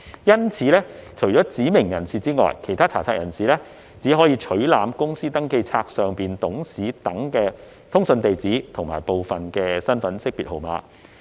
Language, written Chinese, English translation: Cantonese, 因此，除指明人士外，其他查冊人士只可取覽公司登記冊上董事等的通訊地址和部分身份識別號碼。, Therefore apart from specified persons other searchers will only be able to access the correspondence addresses and partial identification numbers of directors and other persons on the Register